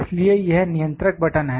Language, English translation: Hindi, So, this is the controller knob